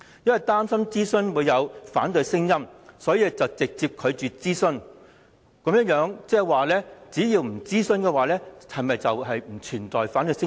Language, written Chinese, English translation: Cantonese, 以擔心出現反對聲音為由直接拒絕諮詢，換言之，只要不諮詢便不存在反對聲音。, Public consultation was flatly rejected for fear of dissenting voices . In other words there would be no dissenting voices if consultation was not conducted